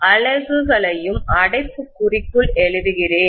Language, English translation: Tamil, Let me write the units also in the bracket